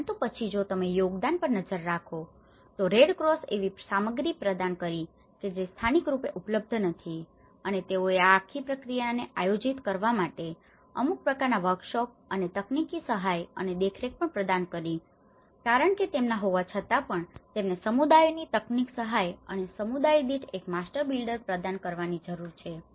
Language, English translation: Gujarati, But then, if you look at the contributions, the Red Cross have provided the materials which are not available locally and they also provided some kind of workshops to organize this whole process and in a technical support and monitoring because they have even they need to provide the technical support to the communities and one master builder per community so for each community they have given one master builder